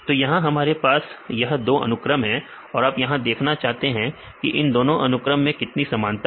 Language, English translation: Hindi, So, then we have this sequences you do not want to compare and how far two sequences are similar